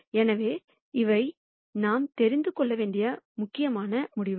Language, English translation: Tamil, So, these are important results that we need to know